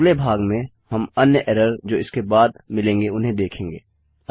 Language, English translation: Hindi, In the next part well deal with anymore errors we get after that